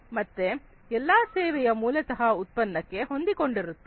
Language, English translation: Kannada, So, every service is basically linked to that product